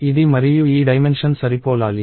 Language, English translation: Telugu, So, this and this dimension should match